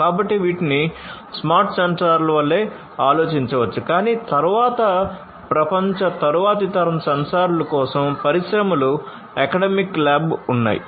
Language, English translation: Telugu, So, these can be thought of like smart sensors, but then for next generation sensors throughout the world industries academic labs and so, on